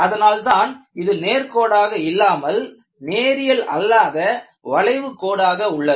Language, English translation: Tamil, That is why this is a non linear curve rather than a straight line